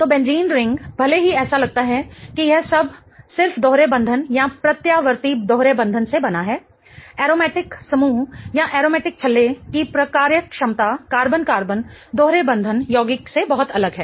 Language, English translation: Hindi, So, benzene ring even though it looks like it is all made up of just double bonds or alternating double bonds, the functionality of the aromatic group or the aromatic ring is very different from that of the carbon carbon double bonded compounds